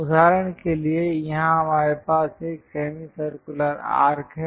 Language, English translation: Hindi, For example, here we have a semi circular arc